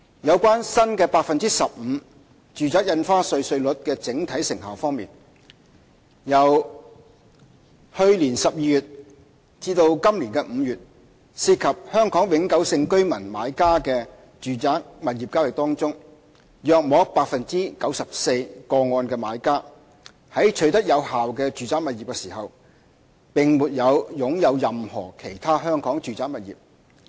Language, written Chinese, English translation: Cantonese, 有關新的 15% 住宅印花稅稅率的整體成效方面，由去年12月至今年5月，涉及香港永久性居民買家的住宅物業交易個案中，約 94% 的買家在取得有關住宅物業時並沒有擁有任何其他香港住宅物業。, In terms of the overall effectiveness of the NRSD rate of 15 % from December last year to May this year among the residential property transactions involving HKPR buyers about 94 % of the buyers did not own any other residential property in Hong Kong at the time of the acquisition of the residential property concerned